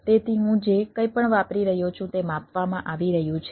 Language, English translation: Gujarati, so whatever i am using is being measured ah